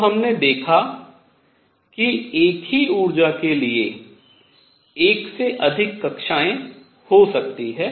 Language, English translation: Hindi, So, what we saw was there could be more than one orbit for the same energy